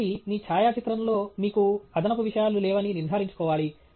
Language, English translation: Telugu, So, you should ensure that you do not have extraneous things in your photograph